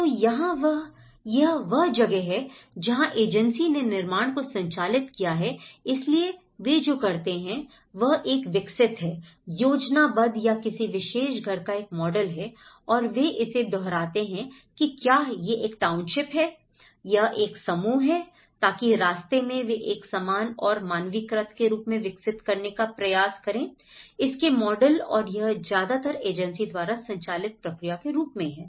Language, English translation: Hindi, So, here this is where the agency driven construction, so what they do is they develop a schematic or a model of a particular house and they replicate it whether it is a township, whether it is a cluster, so in that way, they try to develop as a uniform and the standardized models of it and this is mostly as an agency driven process